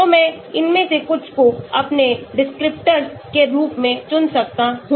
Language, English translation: Hindi, so I can select some of these as my descriptors